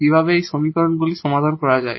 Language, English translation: Bengali, So, we have this equation here